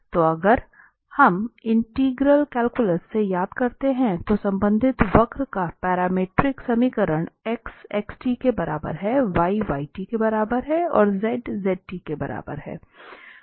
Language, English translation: Hindi, So if we recall from the integral calculus, the parametric equation of the corresponding curve can be given by like x is equal to xt, y is equal to yt and z is equal to zt